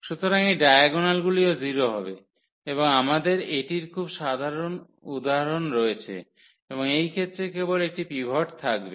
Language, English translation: Bengali, So, this diagonals will be also 0 and we have this very a simple example and in this case, there will be only 1 pivot